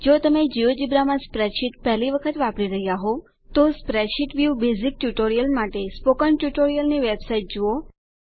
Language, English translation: Gujarati, If this is the first time you are using spreadsheets for geogebra please see the spoken tutorial web site for the spreadsheet view basic tutorial